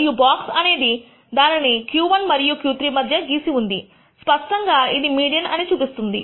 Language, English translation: Telugu, And the box is drawn between Q 1 and Q 3 clearly showing where the me dian is